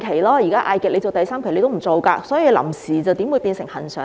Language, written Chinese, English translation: Cantonese, 所以，如果局長不肯，"臨時"又豈會變成"恆常"？, As such how can it be changed from temporary to permanent without the nod from the Secretary?